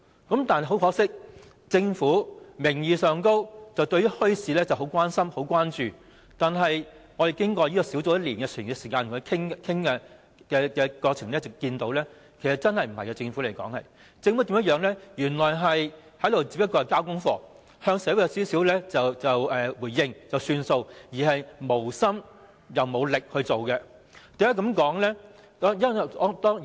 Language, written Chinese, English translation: Cantonese, 然而，很可惜，政府名義上十分關注墟市的發展，但小組委員會與政府經過1年時間的討論，我們在過程中看到政府對此真的並不關心，他們只是交功課，稍為向社會作出回應便算，既無心又無力推行有關墟市的工作。, Although the Government claimed to be very concerned about the development of bazaars we have noted that in the course of the one - year discussion between the Subcommittee and the Government the Government is not truly concerned about the issue . Government officials just want to do something in order to respond to the community they have no intention and have made no efforts to implement bazaars